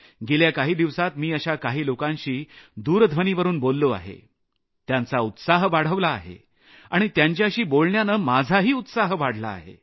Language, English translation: Marathi, During the course of the last few days, I spoke to a few such people over the phone, boosting their zeal, in turn raising my own enthusiasm too